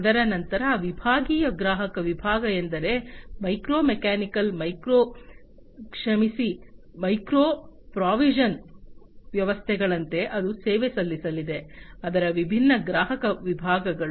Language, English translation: Kannada, Thereafter, the segmented customer segment which means like the micro mechanical micro sorry micro precision systems that it is going to serve, the different customer segments of it